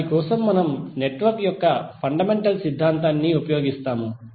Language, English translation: Telugu, For that we use the fundamental theorem of network